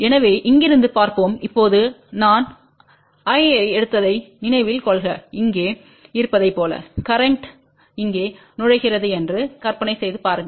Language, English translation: Tamil, So, let just see from here just recall now we had taken I 1 as here and just imagine that the current was entering here